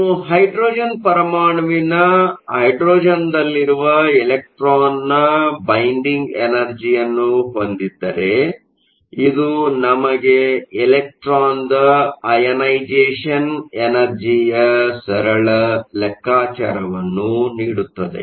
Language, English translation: Kannada, This will give us a simple calculation for the ionization energy of the electron, if you have a hydrogen atom the binding energy of an electron and hydrogen